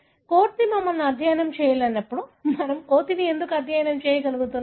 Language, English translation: Telugu, Why you are able to study monkey, while monkey is unable to study us